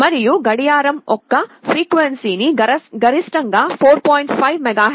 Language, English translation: Telugu, And the frequency of the clock was maximum 4